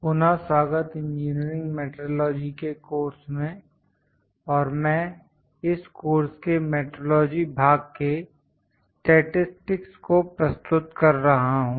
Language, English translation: Hindi, Welcome back to the course Engineering Metrology and I am taking statistics in metrology part in this course